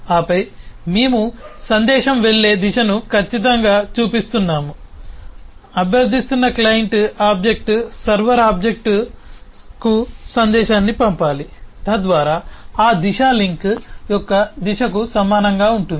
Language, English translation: Telugu, certainly the client object who is requesting has to send a message to the server object, so that direction is same as the direction of the link